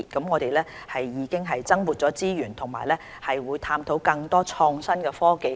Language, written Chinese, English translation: Cantonese, 我們已增撥資源和探討利用更多創新科技。, On top of additional resource allocation we will explore the expanded use of innovation and technologies